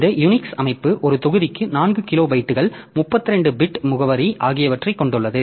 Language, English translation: Tamil, So, this Unix system so it uses a combined scheme 4 kilobytes per block 32 bit address